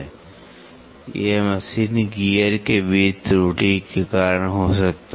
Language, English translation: Hindi, This can happen because of error between the 2 machine gears